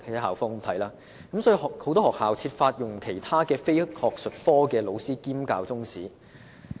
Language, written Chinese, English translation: Cantonese, 因此，很多學校均設法安排其他非術科老師兼教中史。, For this reason many schools seek to arrange for teachers of non - academic subjects to double up as Chinese History teachers